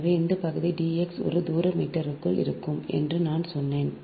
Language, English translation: Tamil, so i told you that area will be d x into one square meter